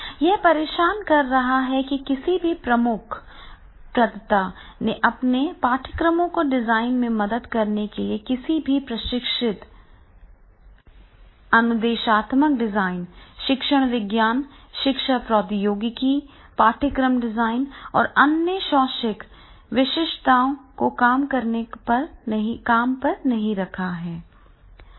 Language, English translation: Hindi, This is many of the major providers have hired anyone training instructional design, the learning sciences, educational technology, course design or other educational specialists to help with the designs of their courses